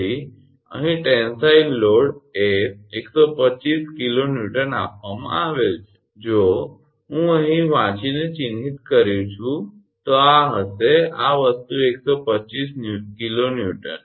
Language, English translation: Gujarati, So, tensile load is given 125 kilo Newton here, if I mark now by reading then this will be this thing 125 kilo Newton this is 22 centimeter 0